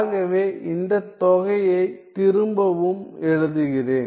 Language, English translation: Tamil, So, let me just rewrite this integral